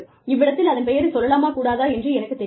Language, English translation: Tamil, I do not know, if should be mentioning, the name here